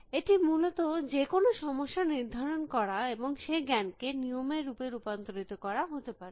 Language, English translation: Bengali, It could be diagnosis of whatever the problem was and try to put that knowledge in the form of rules essentially